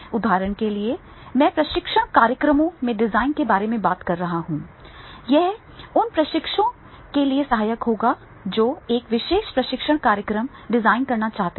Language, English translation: Hindi, For example, I am talking about that is a designing of training program and then this will be helpful for those trainers, those who are looking forward that is how to design a particular training program